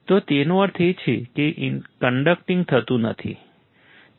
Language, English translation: Gujarati, So that means, that it is not conducting, right